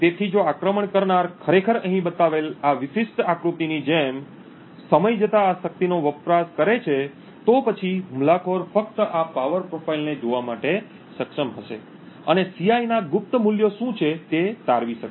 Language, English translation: Gujarati, So, if attacker actually monitors this power consumed over time like this particular figure shown here, then attacker would simply be able to look at this power profile and be able to deduce what the secret values of Ci are